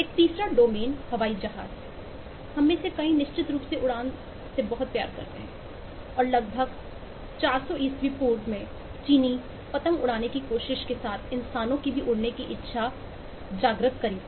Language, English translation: Hindi, many of us is certainly love flying and again, the attempt started at around 400 bc, with Chinese trying to flying kite and aspiring that humans could also fly